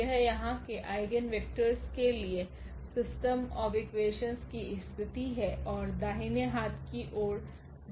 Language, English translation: Hindi, This is the situation of this system of equation for the eigenvector here and the right hand side 0